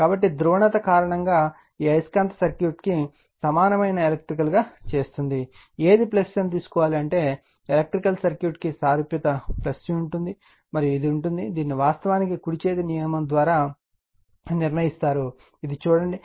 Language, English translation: Telugu, So, the because the polarity why do you make this magnetic equivalent circuit like electrical, you have to know which will be the plus, I mean analogous to your electrical circuit will be plus and which will be minus that will actually from the right hand rule will be determinant we will see that